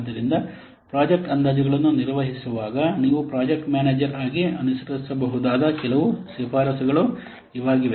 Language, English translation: Kannada, So, these are some of the recommendations that you may follow as a project manager while carrying out project estimations